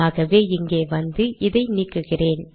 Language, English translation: Tamil, So lets come here, let me delete this